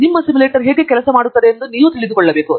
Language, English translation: Kannada, You have to know, how your simulator works